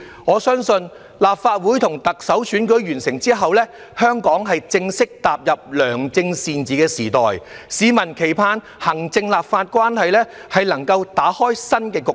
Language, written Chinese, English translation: Cantonese, 我相信，立法會和特首選舉完成後，香港會正式踏入良政善治的時代，市民期盼行政和立法關係能夠打開新局面。, I believe after the elections for the Legislative Council and the Chief Executive Hong Kong will officially enter a period of good governance and the public expect the executive authority and legislature to break new ground in their relationship